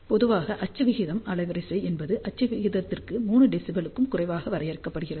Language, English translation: Tamil, So, generally speaking axial ratio bandwidth is defined for axial ratio less than 3 dB